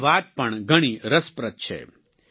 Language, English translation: Gujarati, His story is also very interesting